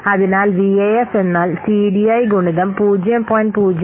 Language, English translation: Malayalam, So, VF is equal to TDI into 0